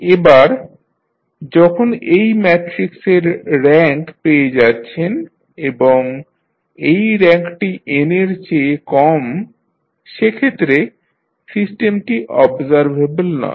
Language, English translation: Bengali, Now, when you find the rank of this matrix and this rank is less than n, the system is not observable